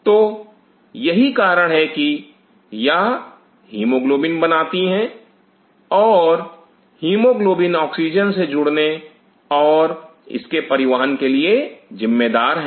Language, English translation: Hindi, So, that is why it makes its hemoglobin and hemoglobin is responsible for attaching to the oxygen and transporting its